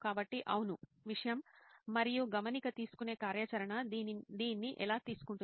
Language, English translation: Telugu, So, yeah the Subject; and how the note taking activity will take this